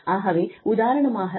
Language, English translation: Tamil, So, for example, Mr